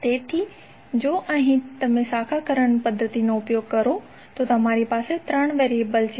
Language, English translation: Gujarati, So here, you have 3 variables if you use branch current method